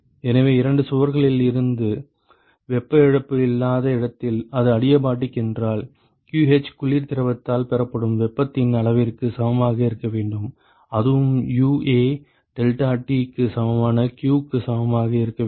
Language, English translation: Tamil, So, if supposing if it is adiabatic where there is no heat loss from the two walls, then qh should be equal to the amount of heat that is gained by the cold fluid and that also should be equal to q equal to UA deltaT ok